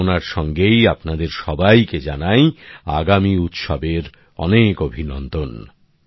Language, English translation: Bengali, With this wish, once again many felicitations to all of you for the upcoming festivals